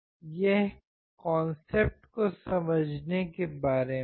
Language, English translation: Hindi, It is all about understanding the concept